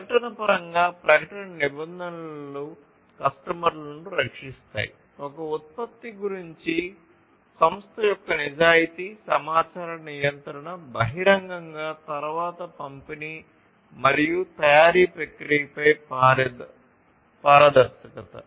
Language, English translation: Telugu, In terms of advertisement – advertisement regulations protect customers, firm honesty about a product, information regulation publicly, then transparency on distribution and manufacturing process